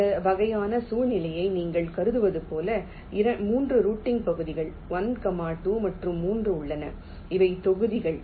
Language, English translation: Tamil, like you consider this kind of a situation where there are three routing regions: one, two and three, and these are the blocks